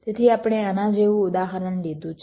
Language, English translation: Gujarati, ok, so we take an example